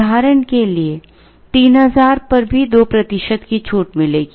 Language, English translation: Hindi, For example, even at 3000 will get the 2 percent discount